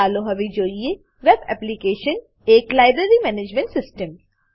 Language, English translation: Gujarati, Now let us look at the web application – the Library Management System